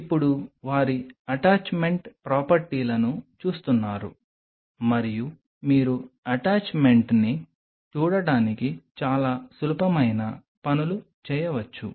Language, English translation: Telugu, Now seeing their attachment properties and you can do very simple things to see the attachment